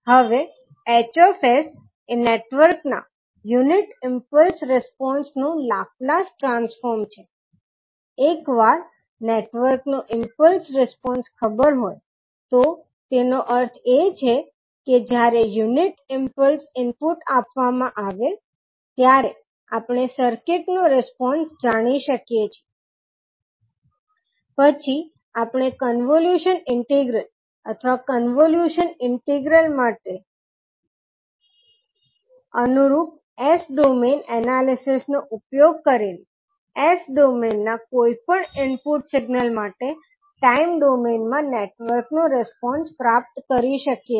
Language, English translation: Gujarati, Now, as H s is the Laplace transform of the unit impulse response of the network, once the impulse response entity of the network is known, that means that we know the response of the circuit when a unit impulse input is provided, then we can obtain the response of the network to any input signal in s domain using convolution integral in time domain or corresponding the s domain analysis for convolution integral